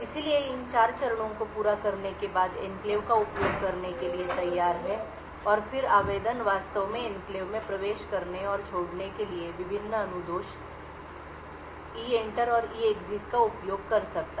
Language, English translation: Hindi, So, after these 4 steps are done the enclave is ready to use and then the application could actually use various instruction EENTER and EEXIT to enter and leave the enclave